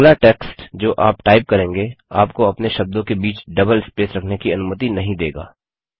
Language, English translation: Hindi, The next text which you type doesnt allow you to have double spaces in between words automatically